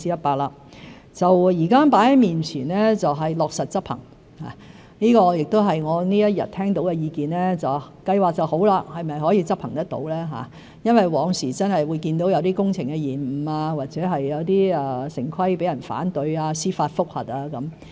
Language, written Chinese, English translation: Cantonese, 現時放在面前的是落實執行，這亦是我一天以來聽到的意見——計劃是很好，是否可以執行得到呢？因為往時真的會看到有些工程延誤，或有些城規程序被人反對、司法覆核等。, However the most frequently heard remark today is whether such an impressive plan can work out well as we used to see project delays and opposition to or judicial review against town planning procedures